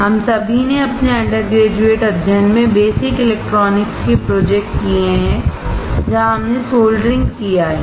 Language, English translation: Hindi, All of us have done basic electronics project in our undergrad studies, where we have done soldering